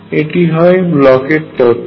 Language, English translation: Bengali, That is the Bloch’s theorem